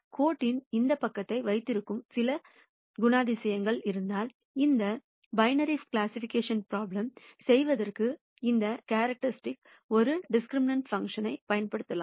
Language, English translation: Tamil, And if there is some characteristic that holds to this side of the line then we could use that characteristic as a discriminant function for doing this binary classification problem